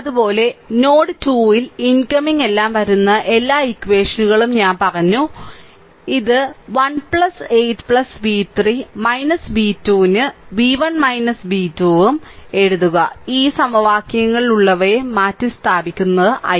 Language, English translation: Malayalam, Similarly at node 2 I told you all the equations incoming outgoing everything so, it is also write down v 1 minus b 2 upon 1 plus 8 plus v 3 minus v 2 upon 2 just you substitute those in this equations i right